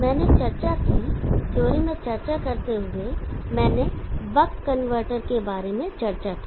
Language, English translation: Hindi, I discussed while discussing in theory I discussed about the buck converter